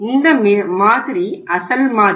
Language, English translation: Tamil, This is standard model